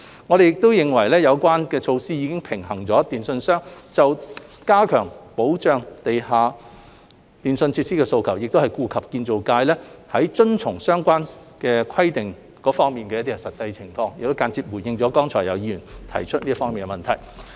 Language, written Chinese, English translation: Cantonese, 我們認為有關措施已經平衡了電訊商加強保障地下電訊設施的訴求，同時亦顧及建造業界在遵從相關規定方面的實際情況，亦間接回應了剛才有議員所提出這方面的問題。, We consider that the relevant measures have balanced the request of telecommunications operators to enhance the protection of underground telecommunications facilities and taken into account the actual situation of the construction sector in complying with the relevant requirements . This also serves as an indirect response to the questions raised by some Members just now